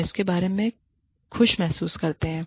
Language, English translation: Hindi, We feel, happy about it